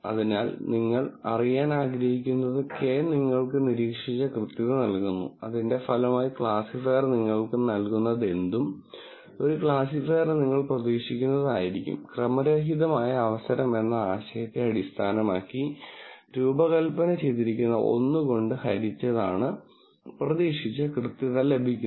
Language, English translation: Malayalam, So, what you want to know is this Kappa gives you the observed accuracy, whatever the classifier gives you as a result minus what accuracy, you would expect for a classifier, which is designed based on this notion of random chance, divided by 1 minus expected accuracy